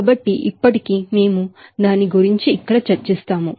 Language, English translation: Telugu, So, still we will discuss here about that